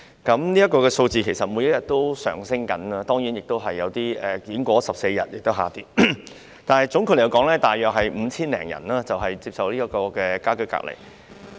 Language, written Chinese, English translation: Cantonese, 這個數字每天持續上升，當然也有一些人士完成14天家居隔離而令數字下跌，但總括來說，現時大約有5000多人接受家居隔離。, The number keeps rising every day . Certainly the number will drop when some people have completed their quarantines but all in all more than 5 000 people have been put under home quarantine at present